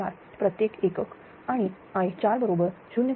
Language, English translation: Marathi, 004 per unit and i 4 is equal to 0